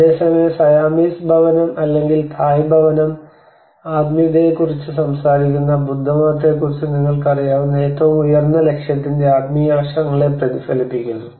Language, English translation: Malayalam, Whereas the Siamese house or the Thai house it reflects to the spiritual aspects of the highest goal you know of the Buddhism which is talking about the Nirvana